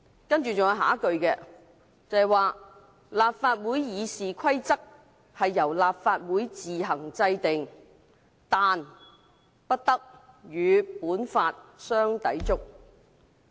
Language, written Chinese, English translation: Cantonese, "還有下一句是："立法會議事規則由立法會自行制定，但不得與本法相抵觸。, And the line which follows reads The rules of procedure of the Legislative Council shall be made by the Council on its own provided that they do not contravene this Law